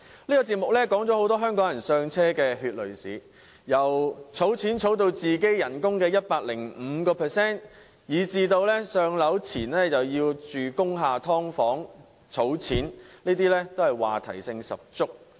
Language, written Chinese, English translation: Cantonese, 這個節目提到很多香港人"上車"的血淚史，要儲起薪金的 105%、"上樓"前須在工廈"劏房"居住以節省金錢等，話題性十足。, The programme gives an account of how Hong Kong people bought their first homes including saving 105 % of ones income living in subdivided units inside factory buildings before buying their own homes etc . in order to save money . It is a very topical issue indeed